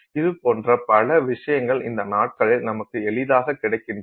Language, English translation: Tamil, So, many such options we have readily available to us these days